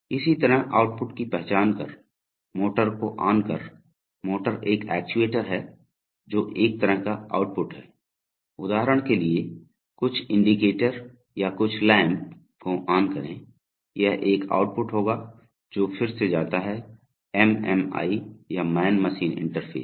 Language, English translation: Hindi, Similarly identify the outputs, so switch on motor, so motor is an actuator, that is a kind of output, there is another kind of output, for example, switch on some indicator or some lamp, that would be an output which again goes to the MMI or the man machine interface